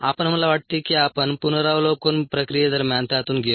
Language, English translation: Marathi, ah, we, i think we went through it ah during the review process